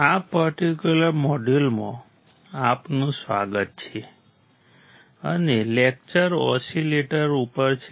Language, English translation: Gujarati, Welcome to this particular module and the lecture is on oscillators